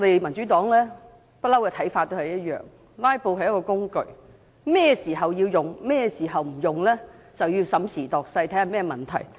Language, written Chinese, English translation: Cantonese, 民主黨對"拉布"的看法一直沒有改變："拉布"是一種手段，甚麼時候需要使用或不應使用，必須審時度勢，視乎出現甚麼問題。, The Democratic Partys views on filibustering has all along remained unchanged and we consider it a means to be used prudently . In order to determine when and whether the means should be used we have to carefully assess the situation and the issues at hand